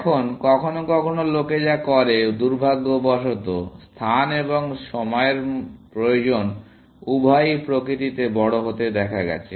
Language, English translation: Bengali, Now, sometimes what people do is now, unfortunately, both space and time requirements have been observed to be large in nature, essentially